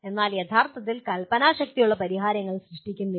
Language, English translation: Malayalam, But not actually creating the original solutions